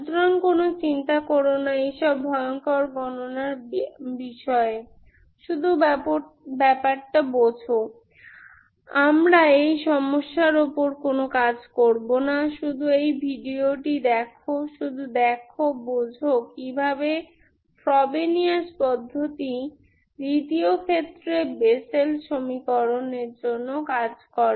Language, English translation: Bengali, So you just don't worry about these horrible calculations, just procedure you understand, we are not going to do any problems on this, just try to watch this video, just see, understand how the Frobenius method works for the Bessel equation in the second case